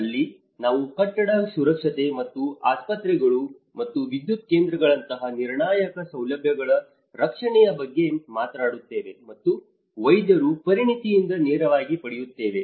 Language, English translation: Kannada, That is where we talk about the building safety and the protection of critical facilities such as hospitals and power stations and draws directly from the expertise of the practitioners